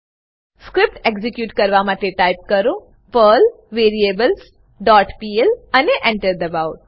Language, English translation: Gujarati, Execute the script by typing perl variables dot pl and press Enter